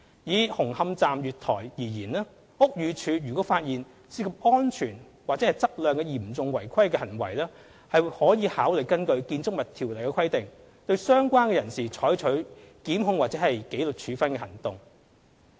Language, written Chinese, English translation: Cantonese, 以紅磡站月台而言，屋宇署如果發現涉及安全或質量的嚴重違規行為，可考慮根據《建築物條例》的規定對相關人士採取檢控或紀律處分行動。, In relation to the Hung Hom Station platform for instance if any serious violation involving safety and quality is found the Building Department may consider taking legal or disciplinary actions against the relevant persons according to the Building Ordinance